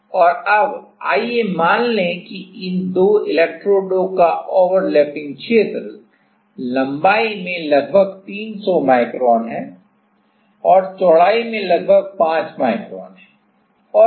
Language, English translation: Hindi, And now, let us consider that the overlapping area of these two electrodes are the length is about 300 micron and the width is about 5 micron ok